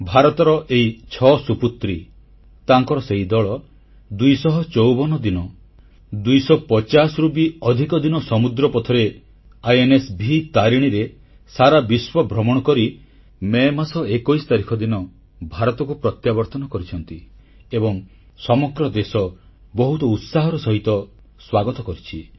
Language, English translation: Odia, These six illustrious daughters of India circumnavigated the globe for over more than 250 days on board the INSV Tarini, returning home on the 21st of May